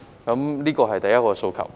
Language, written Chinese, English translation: Cantonese, 這是第一個訴求。, This is the first request